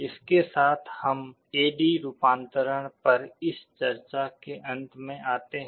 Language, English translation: Hindi, With this we come to the end of this discussion on A/D conversion